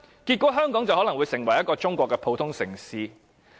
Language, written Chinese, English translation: Cantonese, 結果是，香港可能會成為中國一個普通城市。, The result will be that Hong Kong may degenerate into an ordinary city in China